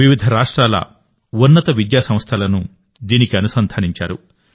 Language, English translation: Telugu, Higher educational institutions of various states have been linked to it